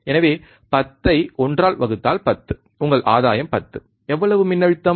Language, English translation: Tamil, So, 10 by one is 10, 10 is your gain, how much voltage